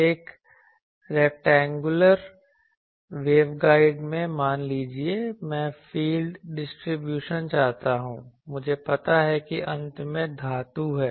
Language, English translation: Hindi, Suppose in a rectangular waveguide I want the field distribution I know that at the ends there are metal